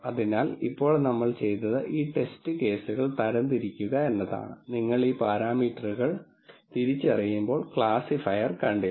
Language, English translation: Malayalam, So, now, what we have done is we have classified these test cases, which the classifier did not see while you were identifying these parameters